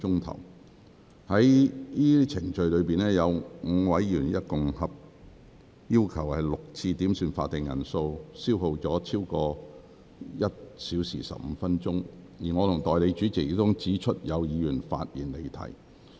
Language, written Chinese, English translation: Cantonese, 在上述程序中，有5名議員合共要求6次點算法定人數，消耗超過1小時15分鐘，而我和代理主席亦曾指出有議員發言離題。, During the above proceedings five Members have requested a headcount for six times altogether and this has consumed over 1 hour 15 minutes . Besides as my Deputy and I have also pointed out certain Members have digressed from the discussion topic in their speeches